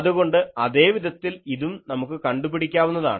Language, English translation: Malayalam, So, we can similarly find this